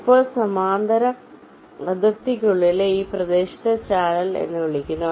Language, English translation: Malayalam, now this region within the parallel boundary is called as channel